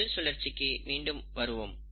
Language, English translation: Tamil, So let us go to the cell cycle